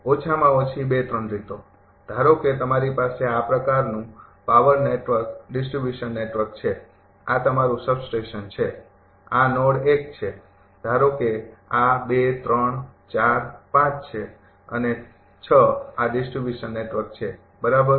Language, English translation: Gujarati, At least 2, 3 ways, this suppose you have a power network distribution network like this, this is your substation, this node is 1, suppose this is 2 3 4 5 and 6 this is the distribution network, right